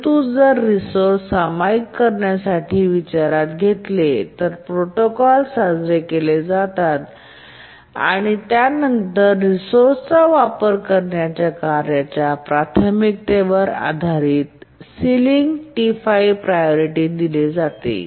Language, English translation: Marathi, But if you look at the protocols that we considered for resource sharing, we assign ceiling priority based on the priorities of the tasks that use that resource